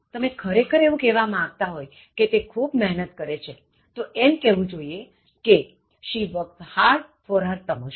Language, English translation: Gujarati, If you really mean that she is working very hard, then she should say; She works hard for her promotion